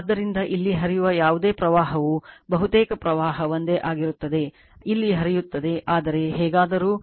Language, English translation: Kannada, So, whatever current will flowing here almost current will be same current will be flowing here right, but anyway